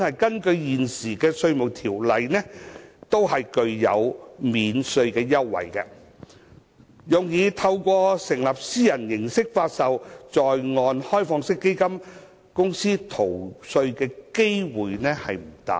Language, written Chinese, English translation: Cantonese, 根據現行《稅務條例》，這些機構本身均享有免稅優惠，用以透過成立以私人形式發售的在岸開放式基金公司逃稅的機會不大。, Under the current Inland Revenue Ordinance these organizations are eligible for tax exemption; and it is thus unlikely for them to evade tax by setting up onshore privately offered OFCs